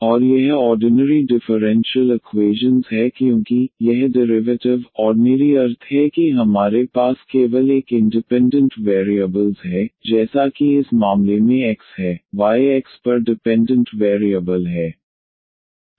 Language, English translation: Hindi, And this is the ordinary differential equation because this derivatives are ordinary meaning this we have only one a independent variable as x in this case, y is a dependent variable on x